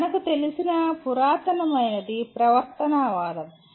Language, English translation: Telugu, The oldest one that we know of is the “behaviorism”